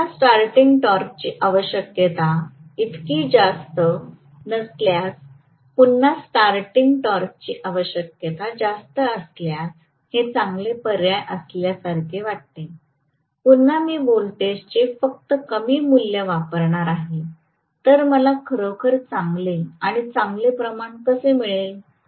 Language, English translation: Marathi, So this sounds like a good option provided again the starting torque requirement is not so high, the starting torque requirement if it is high, again I am applying only lower value of voltage, then how will I get really a good amount of current or good amount of torque, so this also definitely not good for, if high torque is required